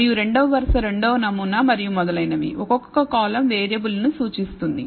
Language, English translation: Telugu, And the second row is the second sample and so on and each column represents a variable